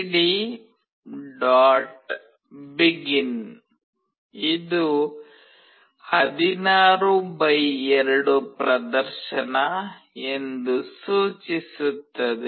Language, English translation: Kannada, begin specifies that this is a 16 x 2 display